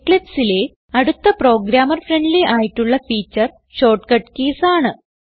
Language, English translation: Malayalam, Ctrl, S to save The next programmer friendly feature of eclipse is the shortcut keys